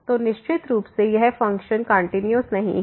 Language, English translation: Hindi, So, certainly this function is not continuous